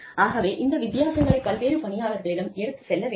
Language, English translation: Tamil, So, these differences have to be communicated, to the different employees